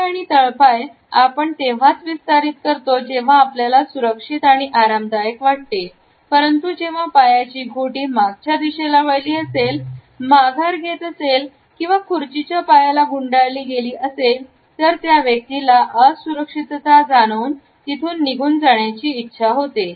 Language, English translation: Marathi, Feet and legs outstretched means that someone feels comfortable or secure, but when ankles lock and withdraw or even wrap around the legs of the chair that person feels insecure or left out